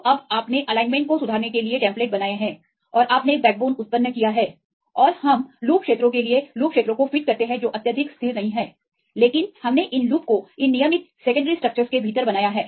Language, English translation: Hindi, So, now, you have done the templates to make the alignment correction and you generated the backbone and we fit the loop regions for loop regions are not highly stable right, but we made these loops right within these regular secondary structures